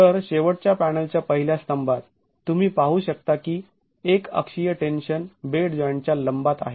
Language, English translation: Marathi, So in the last of the panels in the first column you can see that the uniaxial tension is perpendicular to the bed joint